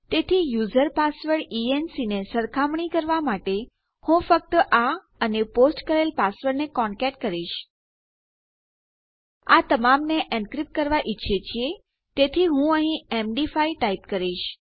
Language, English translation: Gujarati, So compare user password enc to Ill just concatenate on that and the posted password We want all of it to be encrypted so here Ill type MD5